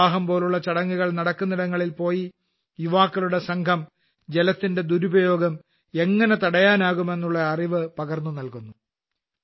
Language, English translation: Malayalam, If there is an event like marriage somewhere, this group of youth goes there and gives information about how misuse of water can be stopped